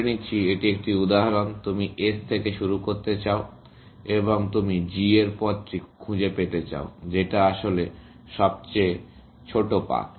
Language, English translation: Bengali, Let us say, this is an example, you want to start from S, and you want to find the path to G, which is of the shortest paths, actually